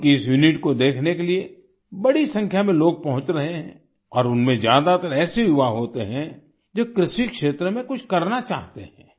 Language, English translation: Hindi, A large number of people are reaching to see this unit, and most of them are young people who want to do something in the agriculture sector